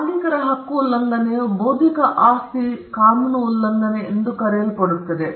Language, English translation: Kannada, A violation of a right of a right owner is what is called in intellectual property law as infringement